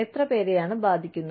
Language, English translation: Malayalam, How many people are getting affected